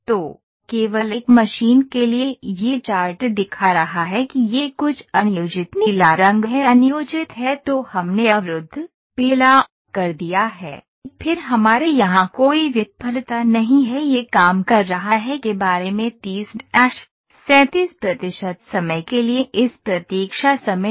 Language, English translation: Hindi, So, for only one machine it is showing the chart that ok this is something unplanned blue colour is unplanned then we have blocked, then have we do not have any failure here we have this waiting time for the about 30 37 percent of time it has been working